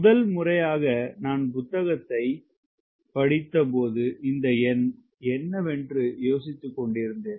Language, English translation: Tamil, when first time i read book, i was also [won/wondering] wondering: what is this number right